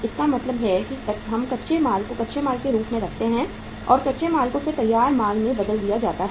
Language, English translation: Hindi, It means we keep the raw material as raw material and that raw material is then finally converted into the finished goods